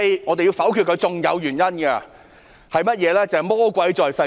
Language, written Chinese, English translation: Cantonese, 還有另一個原因，就是魔鬼在細節中。, Another reason is that the devil is in the detail